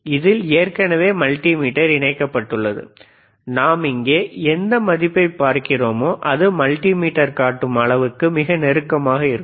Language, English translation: Tamil, mMultimeter is connected to just to say that, whatever the value we are looking at hehere, is it similar to what we are looking at the multimeter